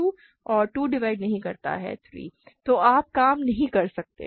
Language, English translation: Hindi, So, you cannot work